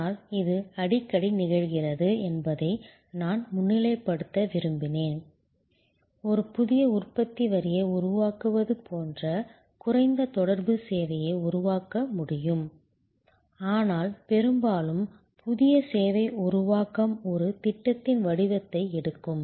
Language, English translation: Tamil, But, I just wanted to highlight that it is quite often, a low contact service can be created almost like creating a new manufacturing line, but mostly the new service creation takes the form of a project